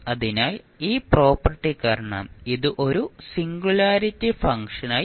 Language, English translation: Malayalam, So, because of this property this will become a singularity function